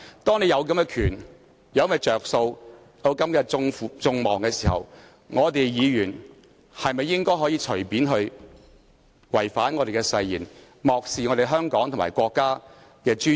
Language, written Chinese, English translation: Cantonese, 當擁有這些權力、利益，以及背負眾人的期望時，議員應否隨便違反本身的誓言，漠視香港和國家的尊嚴？, While holding such powers and interest and shouldering peoples expectation should Members breach his oath lightly and disregard the dignity of Hong Kong and the State?